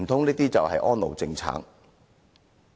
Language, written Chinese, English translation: Cantonese, 難道這就是安老政策？, Could we call it an elderly care policy?